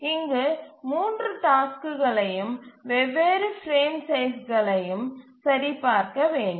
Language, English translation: Tamil, So that we need to do for all the three tasks for the different frame sizes